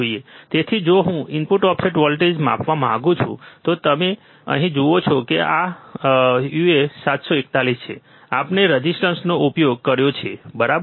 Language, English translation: Gujarati, So, if I want to measure the input offset voltage, now you see here these are uA741, we have used resistors, right